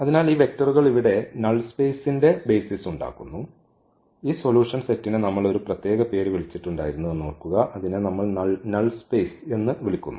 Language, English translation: Malayalam, Therefore, these vectors form a basis of the null space here remember so, we call this solution set there was a special name which we call null space